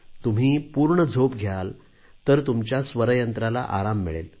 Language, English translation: Marathi, Only when you get adequate sleep, your vocal chords will be able to rest fully